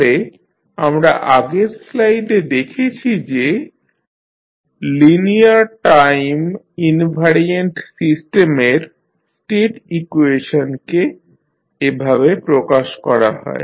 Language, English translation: Bengali, So, here in the previous slide we have seen the state equations of a linear time invariant system are expressed in this form